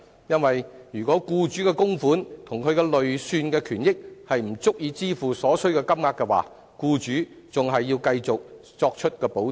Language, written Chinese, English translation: Cantonese, 如果僱主的供款及其累算權益不足以支付所須金額，僱主仍須作出補貼。, If an employers contributions and their accrued benefits are not sufficient to pay the required amount the employer will still have to meet the shortfall